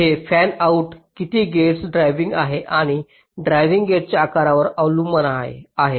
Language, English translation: Marathi, it depends on the fan out, how many gates it is driving and also the size of the driven gates